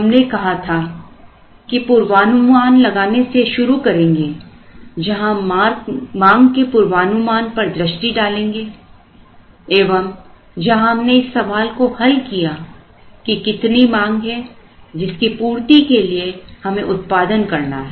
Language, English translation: Hindi, We said we would start with forecasting where we would look at forecast of the demand where we answered the question how much is the demand that we have to produce and meet